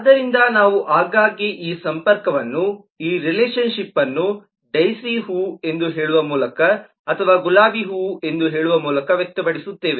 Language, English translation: Kannada, so we will often express this connection, this relationship, by saying that daisy is a flower or saying that rose is a flower